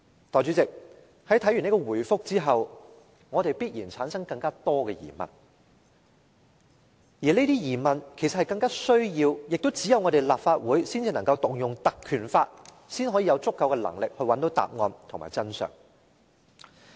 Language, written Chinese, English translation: Cantonese, 代理主席，在看畢這回覆後，我們必然產生更多疑問，而這些疑問其實更需要、亦只有立法會才能引用《條例》，才有足夠的能力找到答案和真相。, Deputy President we feel even more puzzled after reading the reply . In order to find out the answer and the truth behind these puzzles we need to move a motion under the Ordinance to provide us with sufficient power to do so . Only the Legislative Council can do so